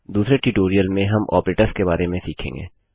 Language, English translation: Hindi, In another tutorial were going to learn about operators